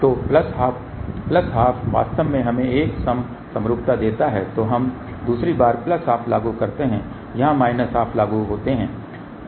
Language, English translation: Hindi, So, plus half plus half actually gives us a even mode symmetry , then we do the second time plus half apply here minus half apply here